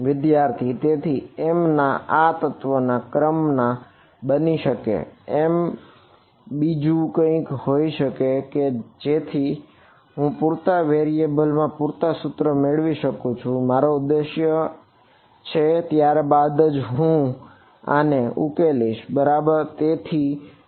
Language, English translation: Gujarati, So, m cannot be element number, m will be something else such that I get enough equations in enough variables that is my objective only then I can solve it right